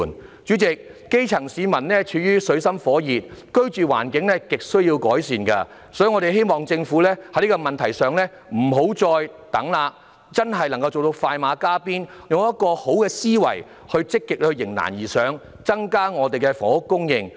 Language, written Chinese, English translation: Cantonese, 代理主席，基層市民處於水深火熱之中，居住環境亟需要改善，所以我們希望政府在這問題上不要再遲疑，要快馬加鞭，用良好的思維積極地迎難而上，增加房屋供應。, Deputy President the grass - roots citizens are living in plight their living environment desperately needs improvements so I hope that the Government could stop pondering over this issue expedite its pace and adopt a positive thinking to forge ahead proactively in face of difficulties to increase housing supply